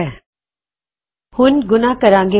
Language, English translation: Punjabi, Now lets try multiplication